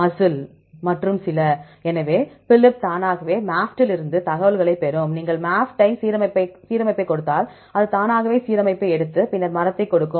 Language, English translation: Tamil, MUSCLEe and so, on right; so Phylip automatically gets the information from MAFFT, if you give the MAFFT alignment it will automatically take the alignment and then give the tree